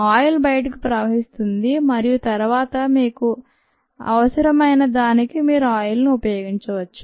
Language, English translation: Telugu, the oil flows out and then you can use the oil for what ever you need